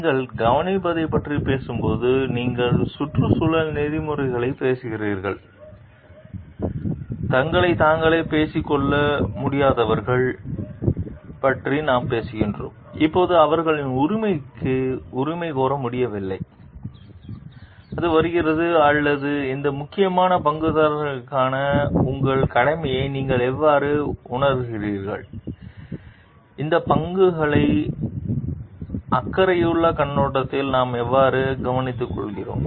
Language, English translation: Tamil, When you are talking of care, you are talking environmentally ethics, we are talking of people who are like not able to speak for themselves, who were not able to like claim for their rights then, it comes off or how do you realize your duty for these like sensitive stakeholders and how do we care for these stakeholders is a caring perspective